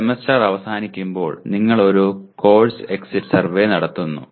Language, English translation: Malayalam, That is towards the end of the semester you conduct a course exit survey